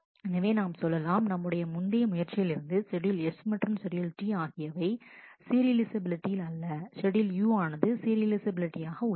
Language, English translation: Tamil, So, we will say that while our earlier attempts on schedule S and schedule T were not serializable schedule U is serializable